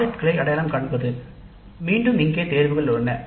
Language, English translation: Tamil, Then identifying the projects, again here we have choices